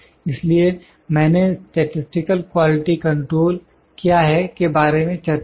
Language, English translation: Hindi, So, what I discussed is, what is Statistical Quality Control